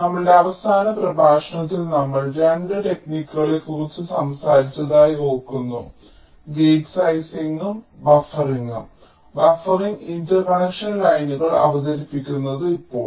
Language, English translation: Malayalam, in our last lecture, if we recall, we talked about two techniques: gate sizing and buffering, introducing buffering interconnection lines